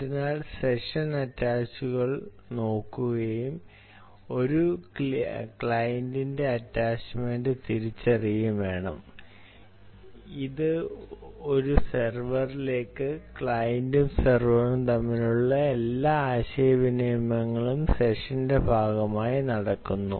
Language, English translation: Malayalam, so just had to look at session attaches and identify the attachment of a client, of a client, right to a server, and all communication between client and server takes place as part of the session